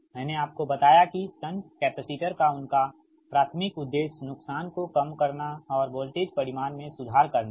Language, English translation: Hindi, i told you there, primary objective of shunt capacitor is to reduce the loss and improve the voltage magnitude